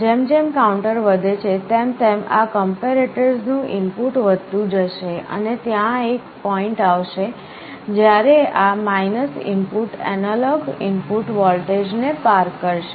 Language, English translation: Gujarati, As the counter increases the input of this comparator will go on increasing, and there will be a point when this input will be crossing the analog input voltage